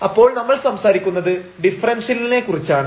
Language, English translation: Malayalam, So, we are talking about the differential